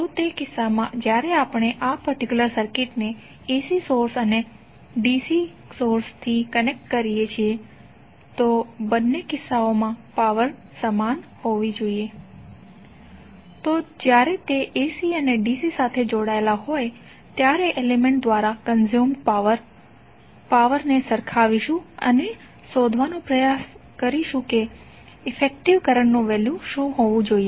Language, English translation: Gujarati, So in that case when we connect this particular circuit to AC source and DC source the power should be equal in both of the cases, so we will equate the power consumed by the element when it is connected to AC and VC and try to find out what should be the value of effective current